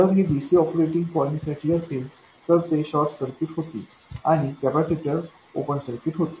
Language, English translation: Marathi, If you do for DC operating point they will become short circuits and capacitors will become open circuits